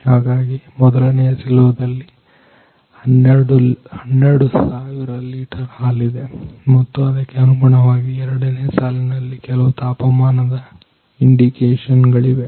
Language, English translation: Kannada, So, in the in the silo number ones are there is a 12000 litres milk are there and in second row some respectively temperatures indications are there